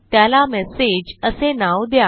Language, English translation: Marathi, Then we will name it as message